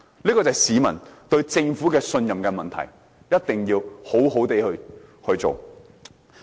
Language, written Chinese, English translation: Cantonese, 這便是市民對政府的信任問題，一定要好好地處理。, This is a matter of trust which the Government should deal with properly